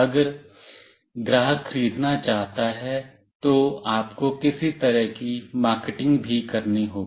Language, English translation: Hindi, If the customer wants to buy, then you have to also do some kind of marketing